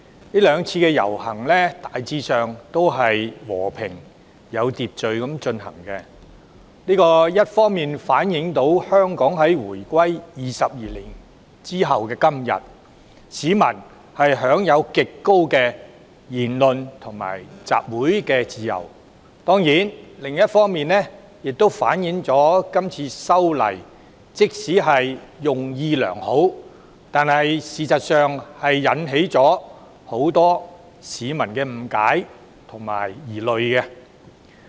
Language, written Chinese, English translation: Cantonese, 這兩次遊行大致和平、有秩序地進行，一方面反映香港回歸22年後的今天，市民享有極高的言論及集會自由；當然，另一方面亦反映這次修例即使出於好意，但實際上確令很多市民產生誤解及疑慮。, On the one hand the two processions conducted in a generally peaceful and orderly manner were a reflection of the extremely high degree of freedom of speech and assembly enjoyed by the people today since the reunification of Hong Kong 22 years ago . On the other hand it is certainly a reflection of the fact that the legislative amendment though well - intentioned has caused misunderstandings and misgivings among many a member of the public